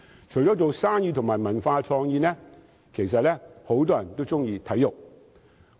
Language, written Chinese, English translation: Cantonese, 除了營商及文化創意，很多人也喜愛體育。, Apart from doing business and engaging in the cultural and creative industries many people love sports